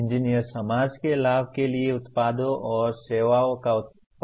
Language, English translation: Hindi, Engineers produce products and services apparently for the benefit of the society